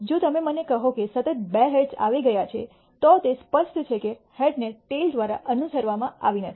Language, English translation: Gujarati, If you tell me two successive heads have occurred, it is clear that the event of head followed by a tail has not occurred